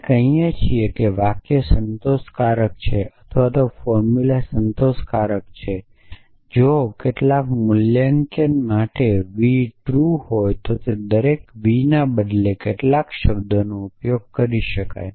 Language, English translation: Gujarati, We say that the sentence is satisfiable or the formula satisfiable if for some valuation v this is true the same thing accept that instead of every v use term some